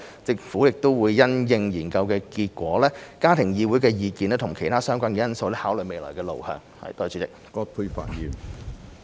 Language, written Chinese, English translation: Cantonese, 政府會因應研究結果、家庭議會的意見及其他相關的因素，考慮未來路向。, The Government will having regard to the findings of the study views of the Family Council and other relevant factors consider the way forward